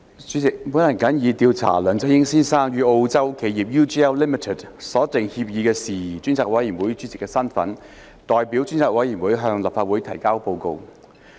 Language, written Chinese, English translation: Cantonese, 主席，我謹以調査梁振英先生與澳洲企業 UGL Limited 所訂協議的事宜專責委員會主席的身份，代表專責委員會向立法會提交報告。, President in my capacity as Chairman of the Select Committee to Inquire into Matters about the Agreement between Mr LEUNG Chun - ying and the Australian firm UGL Limited I submit the Report to the Legislative Council on behalf of the Select Committee